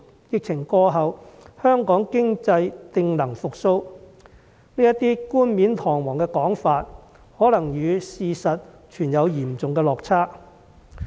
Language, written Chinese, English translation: Cantonese, 疫情過後，香港經濟定能復蘇"這個冠冕堂皇的說法可能與事實存有嚴重落差。, The economy of Hong Kong should be able to recover once the epidemic is over may be very far from the reality